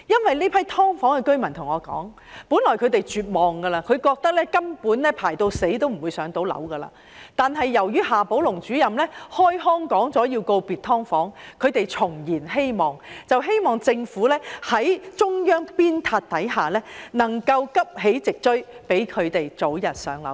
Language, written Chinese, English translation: Cantonese, 這些"劏房"居民對我說，他們原本很絕望，覺得輪候到死之日也未必能"上樓"，但由於夏寶龍主任開腔說要告別"劏房"，令他們重燃希望，希望政府在中央的鞭撻下急起直追，讓他們早日"上樓"。, These residents of subdivided units told me that they were originally very desperate and felt that they might not be allocated a flat even until the day they died . But since Director XIA Baolong talked about bidding farewell to subdivided units their hopes have been rekindled that the Government will speed up its housing construction under the Central Governments pressure so that they can be allocated a flat as soon as possible